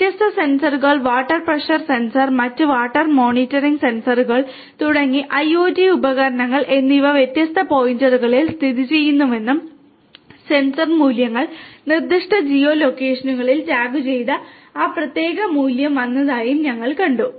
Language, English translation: Malayalam, We have also seen that there are different sensors, IOT devices like you know water pressure sensor and different other water monitoring sensors are located at different points and these values, the sensor values also come tagged with the specific geo location from where that particular value has come